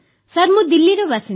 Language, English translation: Odia, I belong to Delhi sir